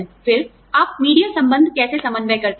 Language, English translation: Hindi, Then, how do you coordinate, media relations